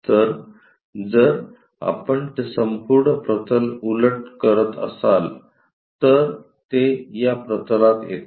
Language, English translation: Marathi, So, if we are flipping that entire plane, it comes to this plane